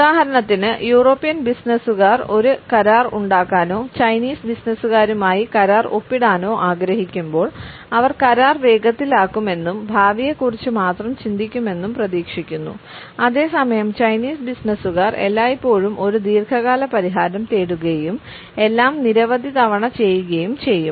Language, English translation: Malayalam, For instance when European businessman want to make a deal or sign a contract with Chinese businessmen, they expect to make to deal fast and only think about the future while the Chinese businessman will always look for a long term solution and everything to do several times